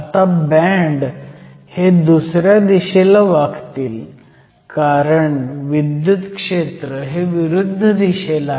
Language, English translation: Marathi, So now, the bands will bend the other way because the electric field is in the opposite direction